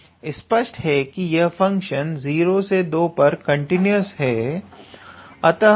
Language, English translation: Hindi, So, obviously this function is continuous from 0 to 2